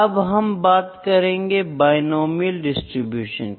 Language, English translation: Hindi, Now, next is binomial distribution